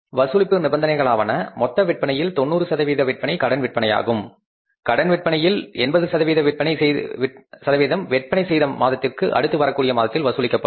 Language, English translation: Tamil, Collection conditions are credit sales are 90% of total sales, credit accounts are collected 80% in the month following the sales